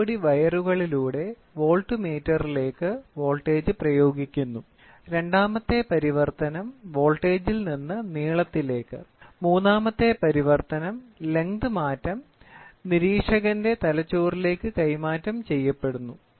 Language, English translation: Malayalam, The voltage in turn is applied to a voltmeter through a pair of wires, the second translation is then voltage into length, the third translation is length change is transmitted to observer’s brain